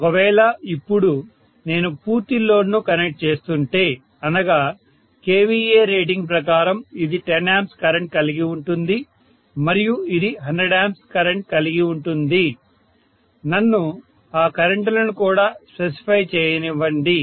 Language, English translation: Telugu, Now if I am connecting full load that means according to the kVA rating this will have a current of 10 ampere and this will have a current of 100 ampere that is what it is saying, right